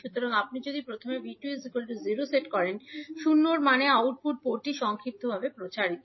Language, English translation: Bengali, So, if you first set V 2 is equal to 0 means the output port is short circuited